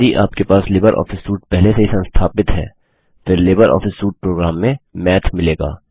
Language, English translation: Hindi, If you have already installed Libreoffice Suite, then you will find Math in the LibreOffice Suite of programs